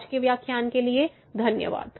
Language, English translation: Hindi, Thank you, for today’s lecture